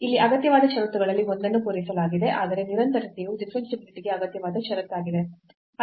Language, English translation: Kannada, So, one of the necessary conditions here is fulfilled, but the continuity is also the necessary condition for differentiability which is not fulfilled here